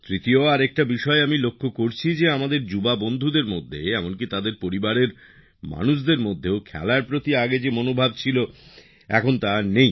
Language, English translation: Bengali, And secondly, I am seeing that our youth and even in our families also do not have that feeling towards sports which was there earlier